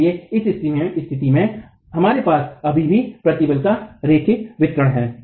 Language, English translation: Hindi, So in this condition we still have linear distribution of stresses